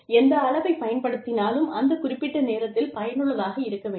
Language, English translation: Tamil, Whatever measure is being used, should be useful, at that particular point of time